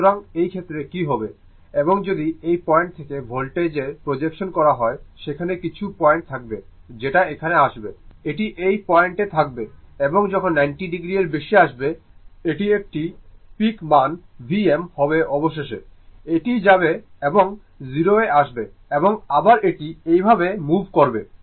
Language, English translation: Bengali, So, in that case what will happen, and if you make the projection of the voltage from this point, it is some point will be there when it is coming to this one, this is the your what you call this point, and when will come to more than 90 degree it is a peak value V m finally, it will go and come to 0 and again it will move like this